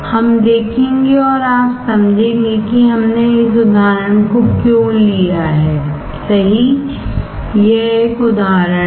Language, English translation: Hindi, We will see and you will understand why we have taken this example right, this is an example